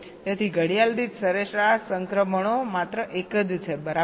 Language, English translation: Gujarati, so average transitions per toggle is only one right